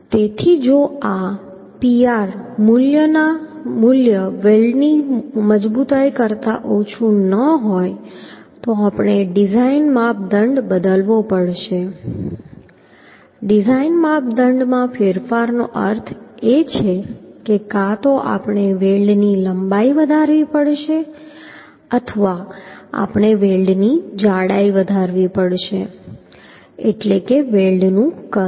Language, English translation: Gujarati, So if this Pr value is not less than the weld strength then we have to change the design criteria design criteria change means either we have to increase the length of the weld or we have to increase the thickness of the weld means size of the weld